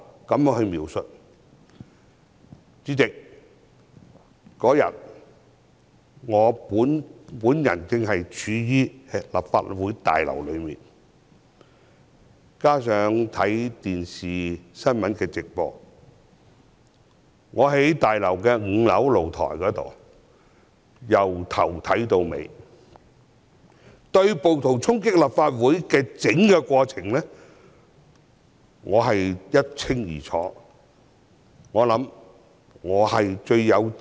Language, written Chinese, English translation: Cantonese, 主席，當天我身處立法會大樓，也有收看電視新聞直播，我在大樓5樓露台，對暴徒衝擊立法會的整個過程看得一清二楚。, President I was at the Complex on the day and I watched the live news broadcast on television . I was at the balcony on 5 floor and clearly saw how the rioters charged the Complex